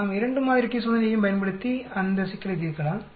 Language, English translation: Tamil, We can use 2 sample t test also and solve this problem